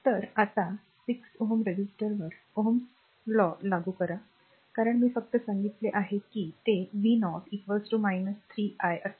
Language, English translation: Marathi, So, ah now applying ohms' law to the 6 ohm resistor, because it is I just told you it will be v 0 is equal to minus 3 into i